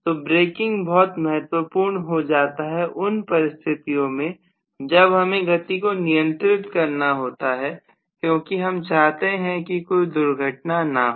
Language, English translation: Hindi, So braking becomes extremely important under certain conditions where I would like to have a controlled movement because I might like to prevent an accident